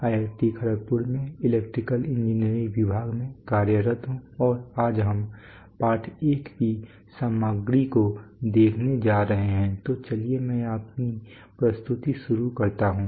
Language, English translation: Hindi, Of the department of electrical engineering at IIT Kharagpur, today we are going to look at the content of lesson 1, so let me start my presentation